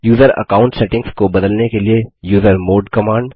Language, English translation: Hindi, usermod command to change the user account settings